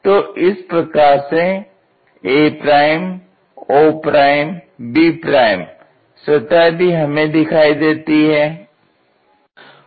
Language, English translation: Hindi, So, a' o' and b' surface